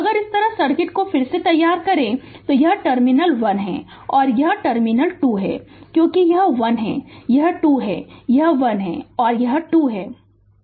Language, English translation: Hindi, So, if you if you redraw the circuit like this; this terminal is 1 and this terminal is 2 because this is 1, this is 2, this is1, this is 2